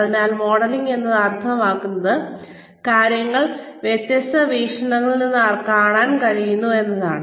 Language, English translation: Malayalam, So, modelling means, trying to see things from different perspectives